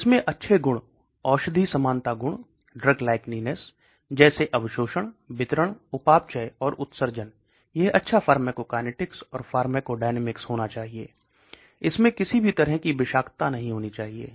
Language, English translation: Hindi, It should have good properties, drug likeness properties like absorption, distribution, metabolism and excretion, it should have good pharmacokinetics and pharmacodynamics, it should not have any toxicity and so on